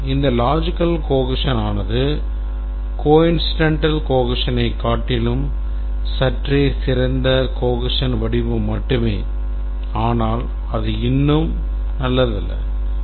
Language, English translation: Tamil, And this is also not a very good form of cohesion, slightly better than coincidental cohesion, but still it's not good